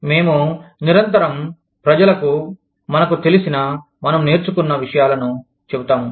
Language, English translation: Telugu, We constantly tell people, what we know, what we learn